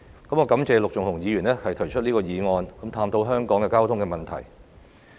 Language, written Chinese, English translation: Cantonese, 我感謝陸頌雄議員提出這項議案，探討香港的交通問題。, I thank Mr LUK Chung - hung for proposing the motion to explore the traffic issues in Hong Kong